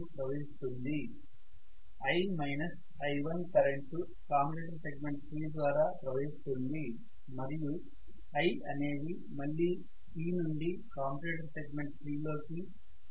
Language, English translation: Telugu, So now I am going to have again i1 is flowing here, I minus i1 is flowing through commutator segment number 3 and capital I is again flowing from C into commutator segment number 3 back to the brush